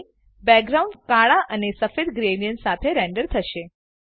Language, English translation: Gujarati, Now the background will be rendered with a black and white gradient